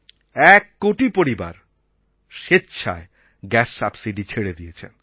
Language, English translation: Bengali, One crore families have voluntarily given up their subsidy on gas cylinders